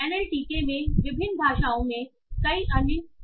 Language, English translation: Hindi, So, there are many other corpora in different languages in NLTK